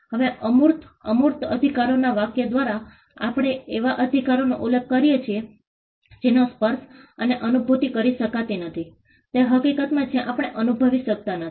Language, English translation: Gujarati, Now, intangible, by the phrase intangible rights we refer to rights that cannot be touched and felt in the fact that things that we cannot feel